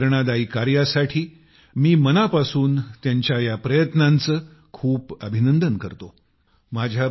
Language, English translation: Marathi, I heartily congratulate his efforts, for his inspirational work